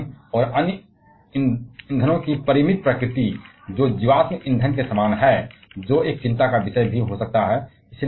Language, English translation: Hindi, The finite nature of Uranium and other fuels that is similar to the fossil fuels that can also be a concern